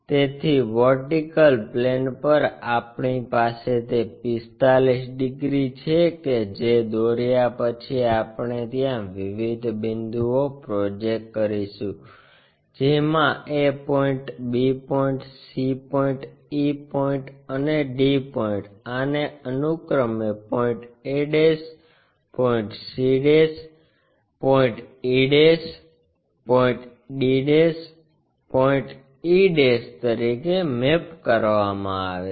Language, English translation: Gujarati, So, on the vertical plane we have that 45 degrees after drawing that we project the complete points from a point map there, b point, c point, e point and d point these are mapped to respectively a' points, c', e' points, d', e' points